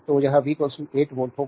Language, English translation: Hindi, So, it will be v is equal to 8 volt